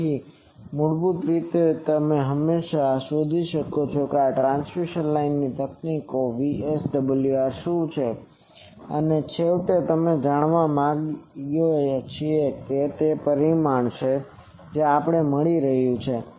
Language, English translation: Gujarati, So, basically you can always find out what is the VSWR from these transmission line techniques and finally we want to know that this is the magnitude we are getting